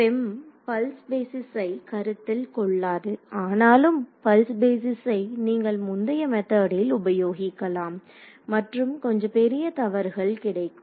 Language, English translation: Tamil, So, FEM does not consider pulse basis at all whereas, you could use pulse basis in the earlier methods and you got little bit you got higher errors